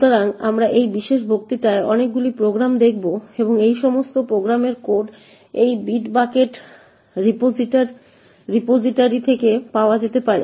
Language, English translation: Bengali, So, we will be looking at a lot of programs in this particular lecture and the code for all these programs can be obtained from this bitbucket repository